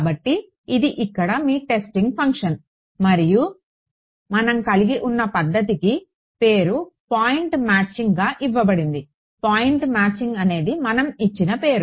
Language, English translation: Telugu, So, this was your testing function over here and the method we had I mean name for this was given as point matching what point matching was the name we have given right point matching ok